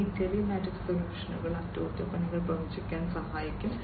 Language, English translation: Malayalam, And these telematic solutions can help in forecasting maintenance etcetera